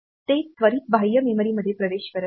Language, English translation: Marathi, So, that it does not go to access the external memory immediately